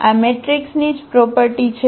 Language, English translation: Gujarati, This is the property of the matrix itself